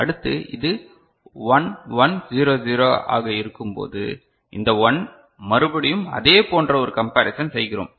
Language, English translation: Tamil, So, next when it is 1 1 0 0 this is the 1, again we do a comparison; similar comparison